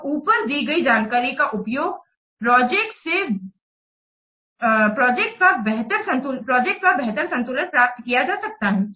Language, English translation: Hindi, So, the information gathered above can be used to achieve better balance of the projects